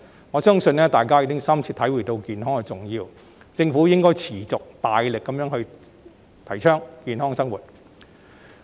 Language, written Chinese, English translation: Cantonese, 我相信，大家已深切體會到健康的重要，所以政府應該持續大力提倡健康生活。, I believe everyone is already fully aware of the importance of healthiness so the Government should keep vigorously promoting healthy living